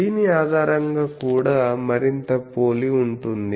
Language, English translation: Telugu, So, based on this is also is more similar